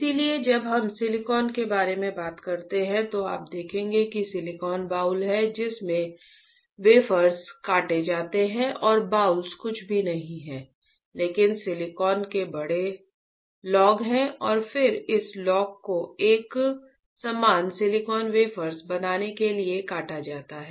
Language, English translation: Hindi, So, when we talk about silicon you will see that silicon boule is there from which the wafers are sliced and the boules are nothing, but the large logs of silicon right and then this logs are sliced to form the uniform silicon wafers, right